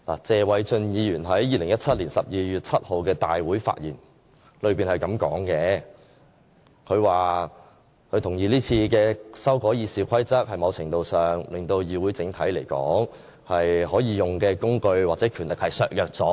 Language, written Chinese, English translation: Cantonese, 謝偉俊議員在2017年12月7日的大會發言是這樣的，他說他同意這次修改《議事規則》在某程度上令議會整體可以用的工具或權力被削弱了。, In the Council meeting on 7 December 2017 Mr Paul TSE said he agreed that the amendments to RoP would somewhat deprive the Council of its tools or power as a whole . Indeed why not ask Mr Paul TSE himself to clarify?